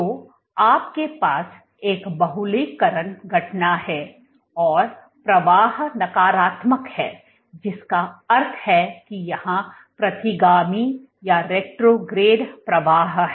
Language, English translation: Hindi, So, you have a polymerization event and flow is negative which means that there is retrograde flow